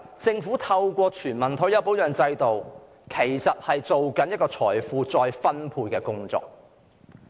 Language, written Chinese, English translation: Cantonese, 政府在推行全民退休保障制度時，其實是在進行財富再分配的工作。, When implementing a universal retirement protection system the Government is essentially doing the work of redistributing wealth